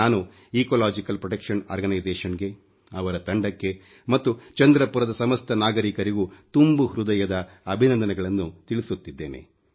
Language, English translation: Kannada, I congratulate Ecological Protection Organization, their entire team and the people of Chandrapur